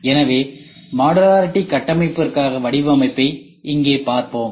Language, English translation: Tamil, So, here we will see the design for modularity architecture